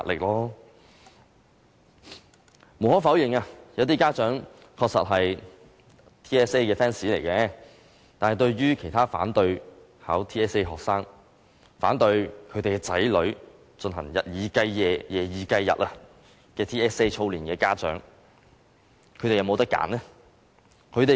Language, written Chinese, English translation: Cantonese, 無可否認，有些家長確實是 TSA 的 fans， 但其他反對考 TSA 的學生、反對其子女日以繼夜、夜以繼日進行 TSA 操練的家長，他們是否可以選擇呢？, That is pressure . Undeniably some parents are TSA fans; but there are students who object to taking TSA and there are parents who object to subjecting their children to continuous drilling day and night do these people have a choice?